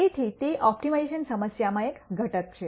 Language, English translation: Gujarati, So, that is one component in an optimization problem